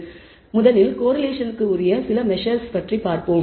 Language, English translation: Tamil, So, let us first look at some measures of correlation